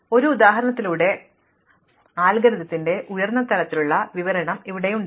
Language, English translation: Malayalam, So, here is a kind of high level description of the algorithm through an example